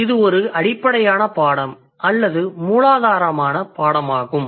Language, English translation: Tamil, This is also basic level course or the fundamental level course